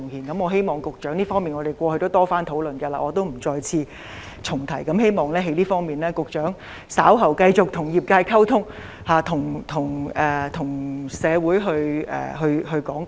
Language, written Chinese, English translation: Cantonese, 我過去亦曾多次與局長討論這方面的問題，我不重提了，希望局長稍後會就這方面繼續與業界溝通，向社會作出講解。, I have repeatedly discussed this matter with the Secretary and I will not repeat myself . I hope the Secretary will continue to communicate with the industry on this matter and explain to the public